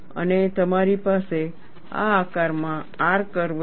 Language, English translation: Gujarati, And you have a R curve in this shape